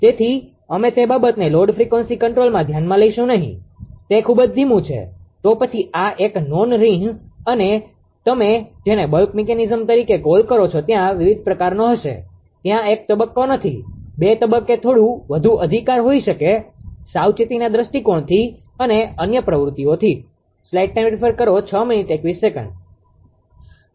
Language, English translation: Gujarati, So, we will not consider that thing in load frequency control it is very slow right, then this is a non date and there will be different type of what you call ah bulk mechanism is they are not not 1 stage ah 2 stage may be few more right, from the application point of view and other activities